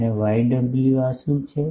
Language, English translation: Gujarati, And what is this